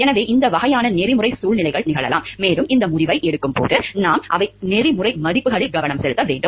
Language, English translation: Tamil, So, these types of ethical situations may happen and we need to be focused on the ethical values, while taking these decisions